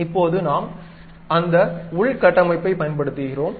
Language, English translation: Tamil, Now, we are using that internal structure